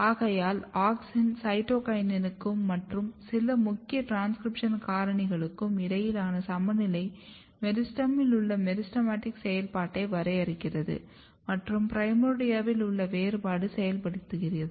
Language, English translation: Tamil, So, the critical balance between auxin and cytokinin and some of the key transcription factors defines the meristematic activity in the meristem and differentiation activity in the primordia